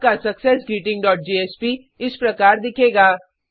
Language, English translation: Hindi, Then in successGreeting dot jsp we will display the list